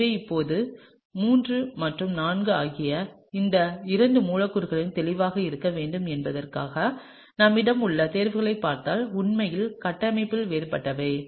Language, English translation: Tamil, So now, if you look at the choices that we have in order to be clear these two molecules that is III and IV are actually different in structure